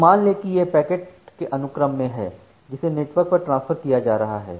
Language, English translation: Hindi, So, assume that these are the sequences of packets, which are being transferred over the network